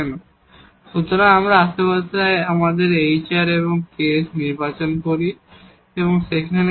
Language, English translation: Bengali, Because if we choose our hr and ks in the neighborhood such that this hr plus ks is 0